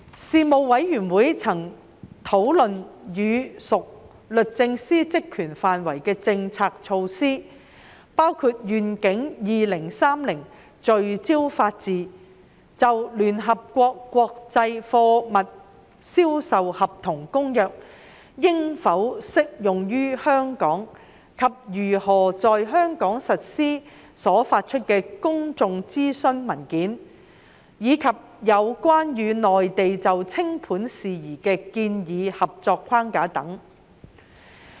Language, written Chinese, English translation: Cantonese, 事務委員會曾討論與屬律政司職權範圍的政策措施，包括"願景 2030—— 聚焦法治"、就《聯合國國際貨物銷售合同公約》應否適用於香港及如何在香港實施所發出的公眾諮詢文件，以及有關與內地就清盤事宜的建議合作框架等。, The Panel discussed policy initiatives under the Department of Justice including Vision 2030 for Rule of Law the public consultation paper on whether the United Nations Convention on Contracts for the International Sale of Goods should be applied to Hong Kong and if so its implementation in Hong Kong as well as the proposed framework for cooperation with the Mainland in corporate insolvency matters